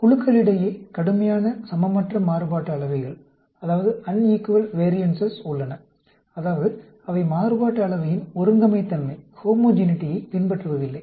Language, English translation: Tamil, There exists severely unequal variances between the groups; that means, they do not follow the homogeneity of variance